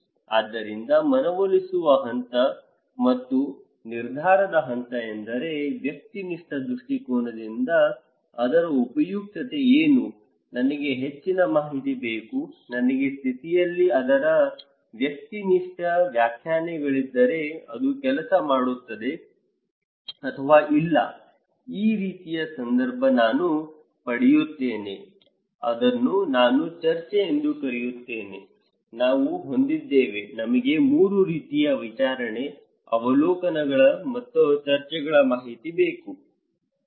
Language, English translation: Kannada, So, the persuasion stage and decision stage that means, what is the utility of that from a subjective point of view, I need more information, if subjective interpretations of that one in my condition, it will work or not, this kind of context which I get, which we call discussions so, we have; we need 3 kinds of information; hearing, observations and discussions, okay